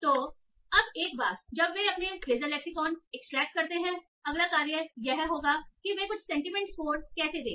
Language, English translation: Hindi, So now once they extract their phrasal lexicon, the next task would be how do they give them some sentiment score